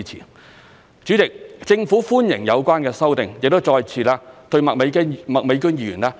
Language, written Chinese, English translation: Cantonese, 代理主席，政府歡迎有關修訂，亦再次對麥美娟議員表達我們的謝意。, Deputy President the Government welcomes the amendment and here again I express our thanks to Ms Alice MAK